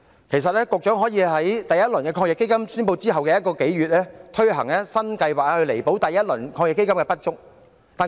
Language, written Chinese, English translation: Cantonese, 其實局長可以在第一輪防疫抗疫基金宣布一個多月後推行新計劃，以彌補第一輪基金的不足。, Actually the Secretary could have introduced a new scheme a month or so after the announcement of the first round of AEF to make up for the inadequacy of its first round